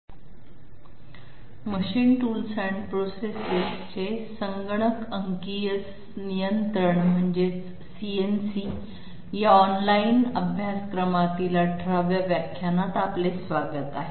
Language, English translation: Marathi, Welcome to the 18th lecture in the open online course Computer numerical control of machine tools and processes